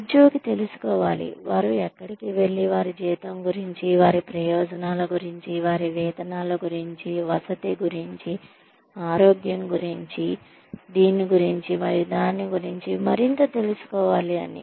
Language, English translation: Telugu, Then, every new employee needs to know, where they can go to, find out more about their salary, about their benefits, about their emoluments, about accommodation, about health, about this and that